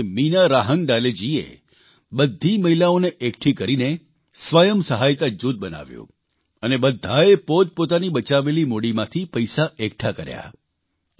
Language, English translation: Gujarati, One among these women, Meena Rahangadale ji formed a 'Self Help Group' by associating all the women, and all of them raised capital from their savings